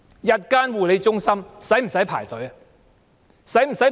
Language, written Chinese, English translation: Cantonese, 日間護理中心需要輪候嗎？, Do they not need to wait for places at day care centres?